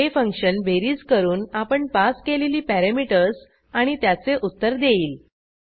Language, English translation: Marathi, This function does the addition of the passed parameters and returns the answer